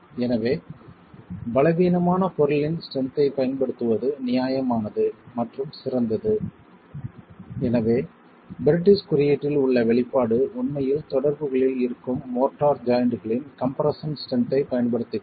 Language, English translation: Tamil, So, it is reasonable and probably better to make use of the strength of the weaker material which is the motor and hence the expression in the British code actually makes use of the compressive strength of the motor joint which is present at the contact itself and this is a conservative estimate